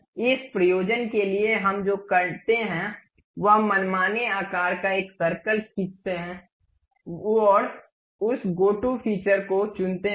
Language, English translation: Hindi, For that purpose what we do is we go draw a circle of arbitrary size and pick that one go to features